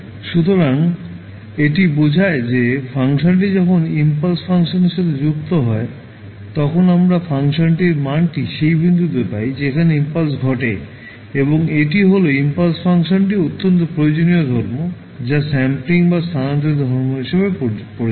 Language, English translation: Bengali, So, this shows that when the function is integrated with the impulse function we obtain the value of the function at the point where impulse occurs and this is highly useful property of the impulse function which is known as sampling or shifting property